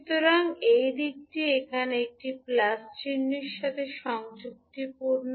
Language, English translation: Bengali, So the direction is conforming to a plus sign here